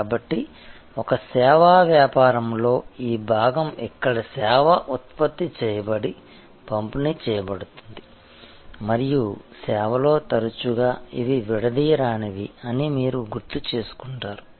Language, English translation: Telugu, So, in a service business this part, where the service is generated and delivered and you recall that in service, often they are inseparable